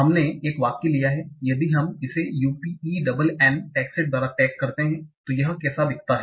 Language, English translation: Hindi, So we have taken a sentence and if we tag it by UPenn text set, how does it look like